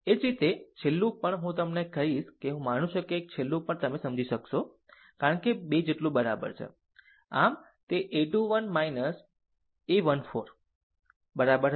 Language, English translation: Gujarati, Similarly, last one also, last one shall I tell you I think last one also you will be able to understand, because n is equals to 3 so, it will be a 3 1 minus 1 4, right